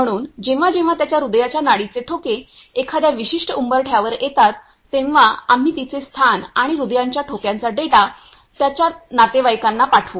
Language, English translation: Marathi, So, whenever his heart pulse beat come below to a certain threshold, then we will send its location and his heartbeat data to its; his relatives